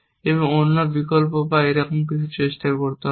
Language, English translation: Bengali, have to back track and try the other option or something like that